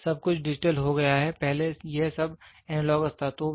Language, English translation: Hindi, Today everything has become digital, earlier it was an all analogous